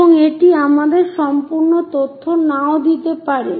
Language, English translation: Bengali, And that may not give us complete information